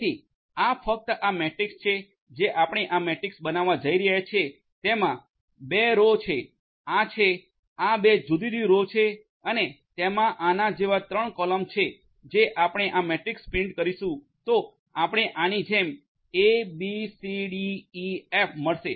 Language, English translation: Gujarati, So, you know so this is just a this matrix that we are going to build this matrix will have 2 rows, these are; these are the 2 different rows and it is going to have 3 columns like this and if you print this matrix then you get a, b, c, d, e, f; a, b, c, d, e, f like this